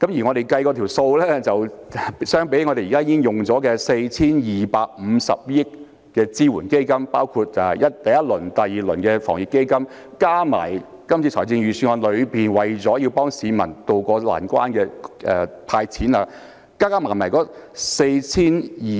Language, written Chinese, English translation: Cantonese, 我們計算過，與現已使用 4,250 億元的支援基金相比，包括第一輪及第二輪的防疫抗疫基金，加上這次預算案為了協助市民渡過難關的"派錢"計劃，一共是......, By our reckoning compared with the support funds of 425 billion already spent including the first and second rounds of the Anti - epidemic Fund as well as the cash handout scheme in this Budget to help the public through the difficulties the total is sorry I am saying I cannot remember where I was up to